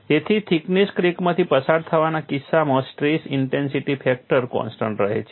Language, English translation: Gujarati, So, in the case of a through the thickness crack stress intensity factor remain constant